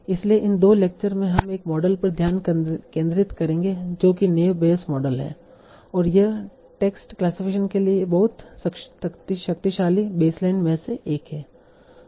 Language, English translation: Hindi, So in these two lectures, we will focus on one model that is naive based model and that is one of the very powerful baselines for text classification